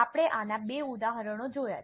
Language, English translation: Gujarati, We had seen two examples of this